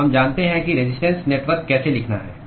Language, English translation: Hindi, So we know how to write resistance network